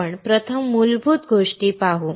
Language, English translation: Marathi, We will see basic things first